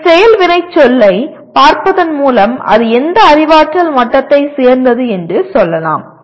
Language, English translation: Tamil, By looking at its action verb we can say what cognitive level does it belong to